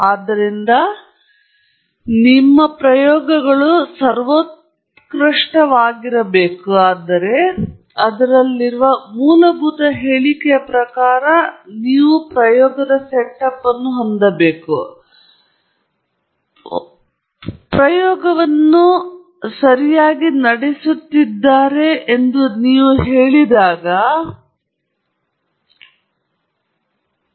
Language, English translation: Kannada, So, it’s important to, when you say that experiments are supreme and all that, the underlying statement they have, that the underlying assumption they have, is that you have run the experiment correctly